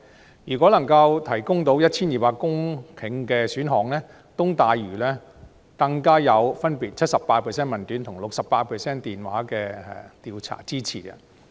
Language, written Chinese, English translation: Cantonese, 被問及能夠提供 1,200 公頃土地的選項，東大嶼都會更分別得到 78% 的問卷及 68% 的電話調查的支持。, Among the options that can provide 1 200 hectares of land the development of the East Lantau Metropolis received the support of 78 % of the questionnaire respondents and 68 % of the telephone survey respondents